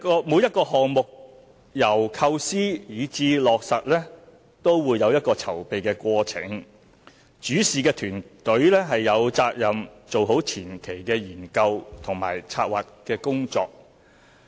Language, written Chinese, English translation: Cantonese, 每一個項目由構思至落實都會有籌備的過程，主事團隊有責任做好前期的研究和策劃工作。, As every project needs to undergo a preparatory process from conception to implementation the management team has the responsibility to undertake preliminary study and planning